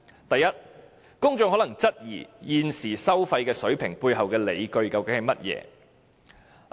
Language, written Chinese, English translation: Cantonese, 第一，公眾可能質疑現時收費水平背後的理據為何。, The first consequence will be that the public may have doubts about the grounds for the toll levels